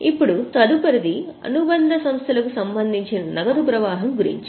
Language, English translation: Telugu, Now next one is about cash flow related to subsidiaries